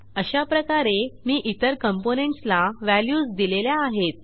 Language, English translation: Marathi, I have already assigned values to other components in the similar way